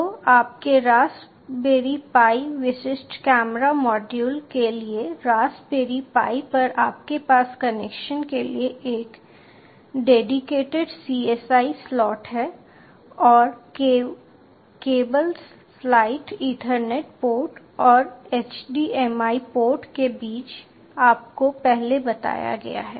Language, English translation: Hindi, for on the raspberry pi you have a dedicated csi slot for the connection and the cable slot is placed between the ethernet port and the html port told you